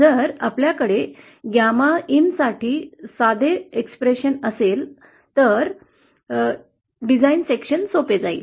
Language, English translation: Marathi, If we could have a simple expression for gamma in then it would be easier to design sections